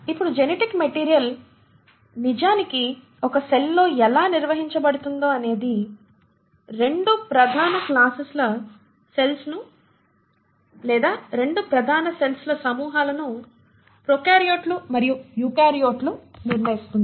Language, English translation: Telugu, Now how this genetic material is actually organised within a cell determines 2 major classes of cells or 2 major groups of cells, prokaryotes and eukaryotes